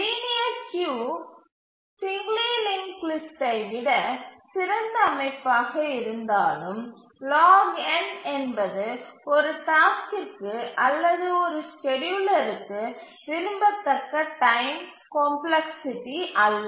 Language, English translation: Tamil, So even though it is a better structure than a singly linked list a linear queue, but still log n is not a very desirable time complexity for a task for a scheduler